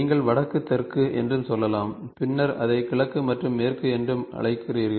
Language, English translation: Tamil, And then between top and or you can say north, south and then you call it as east and west